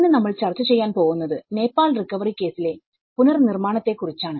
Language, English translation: Malayalam, Today, we are going to discuss about build back better in the case of Nepal recovery